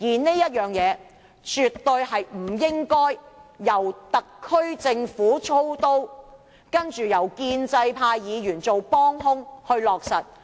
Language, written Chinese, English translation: Cantonese, 這件事更絕對不應該由特區政府操刀，然後由建制派議員做"幫兇"去落實。, This operation should definitely not be done by the SAR Government with pro - establishment Members acting as accomplices